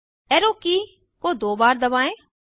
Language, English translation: Hindi, Press the up arrow key twice